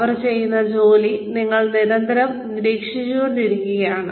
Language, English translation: Malayalam, And you are constantly monitoring the work, that they are doing